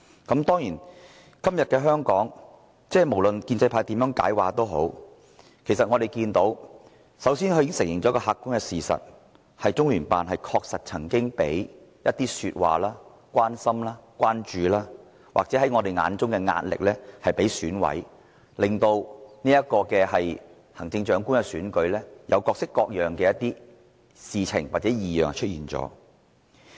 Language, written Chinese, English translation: Cantonese, 今天的香港，無論建制派如何解釋，他們都承認一個客觀事實，就是中聯辦確曾向一些選委說話、給予他們關心或關注，或在我們眼中的壓力，令行政長官的選舉出現各式各樣的異樣事情。, Today no matter what explanations have been given by pro - establishment Members they have admitted an objective fact that is LOCPG has indeed spoken to some EC members expressing their care or concern or in our eyes exerting pressure . Consequently some abnormalities have emerged in the Chief Executive Election